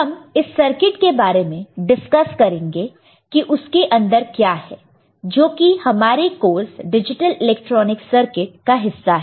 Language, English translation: Hindi, We will discuss the circuit what is there inside that is a part of our course, digital electronics circuit